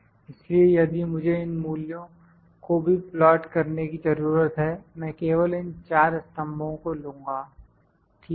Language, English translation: Hindi, So, if I need to plot these values as well, I will just pick these four columns, ok